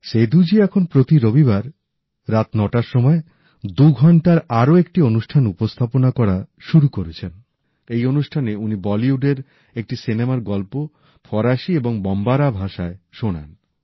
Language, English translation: Bengali, Seduji has started another twohour program now at 9 pm every Sunday, in which he narrates the story of an entire Bollywood film in French and Bombara